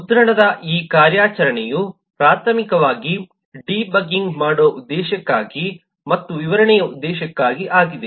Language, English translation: Kannada, this operation of print is primarily for the purpose of debugging and for the purpose of illustration